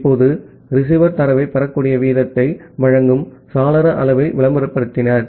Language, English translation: Tamil, Now, the receiver advertised window size that gives you the possible rate at which the receiver can receive the data